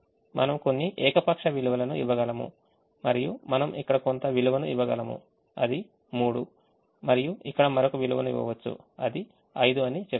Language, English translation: Telugu, we can give some value here, let's say three, and we can give another value here, let's say five